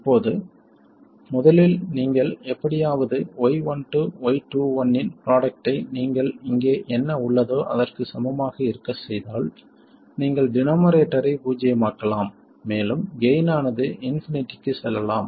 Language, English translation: Tamil, Now, first of all, you can see that somehow if you make the product of Y12 and Y2 equal to this whatever you have here, you could even make the denominator 0 and let the gain go to infinity